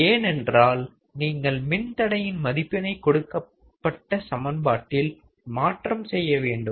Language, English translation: Tamil, Because you have to just substitute the value of the resistors in the given equation